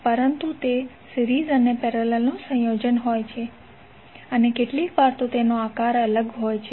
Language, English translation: Gujarati, But it is a combination of series, parallel and sometimes it is having a different shape